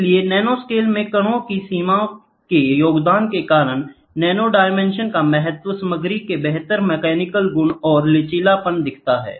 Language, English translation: Hindi, So, importance of nanodimensions due to the contribution of grain boundary at nanoscale, material exhibits superior mechanical property and ductility